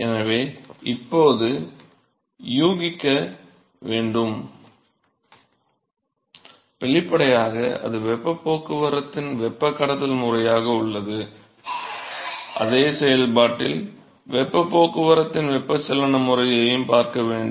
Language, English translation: Tamil, So now, one would guess that; obviously, there is conduction mode of heat transport, but what is not; obviously, to see is that also convective mode of heat transport in the same process